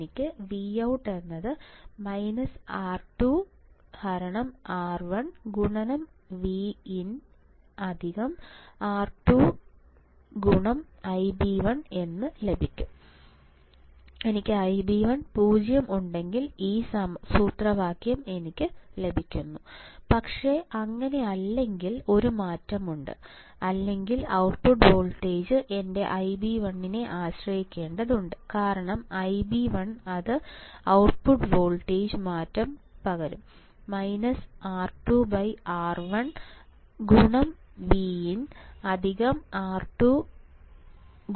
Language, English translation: Malayalam, If I have I b 1 equals to 0, then I get this formula which makes sense, but if it is not then there is a change or there is the output voltage output voltage has to rely on my I b 1 because the I b 1, it will change the output voltage rather than it will be minus R 2 by R 1 into V in, it will be minus R 2 by R 1 into V in plus R 2 I b 1